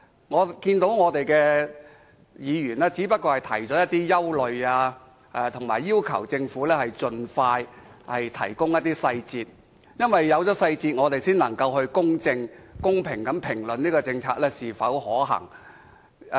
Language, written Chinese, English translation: Cantonese, 我們的議員只是提出了一些憂慮，以及要求政府盡快提供細節。因為有了細節，我們才能公正及公平地評論這項政策是否可行。, Members from FTU have raised some of our concerns and asked the Government to provide as early as possible further details of the scheme without which we cannot comment on its effectiveness impartially and fairly